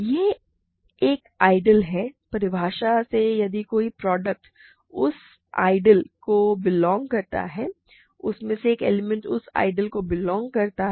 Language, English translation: Hindi, It is an ideal such that if a product belongs to that ideal one of the elements belongs to the ideal